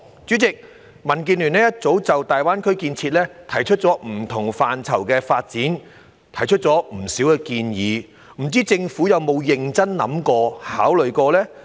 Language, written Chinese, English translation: Cantonese, 主席，民建聯早已就大灣區不同範疇的發展提出不少建議，不知政府有否認真考慮。, President DAB has already put forward quite a number of proposals on the development of GBA in various areas . I wonder whether the Government has given them serious consideration